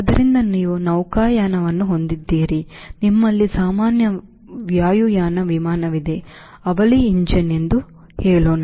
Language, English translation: Kannada, so you have sail plane, you have general aviation airplane, let say twin engine